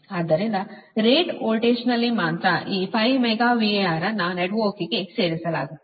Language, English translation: Kannada, that only at rated voltage this five megavar will be injected into the network